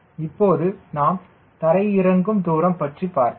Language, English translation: Tamil, we will also discuss about so landing distance